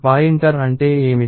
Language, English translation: Telugu, So, what is a pointer